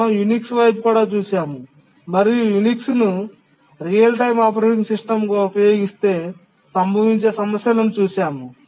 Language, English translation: Telugu, We looked at Unix and then we looked at what problems may occur if Unix is used as a real time operating system